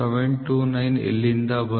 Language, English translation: Kannada, 729 come from 38